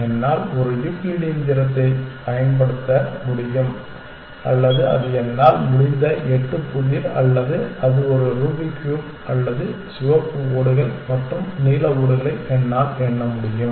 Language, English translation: Tamil, I can use a Euclidean distance or that is a eight puzzle I can or that is a Rubik’s cube or I can count the red tiles and the blue tiles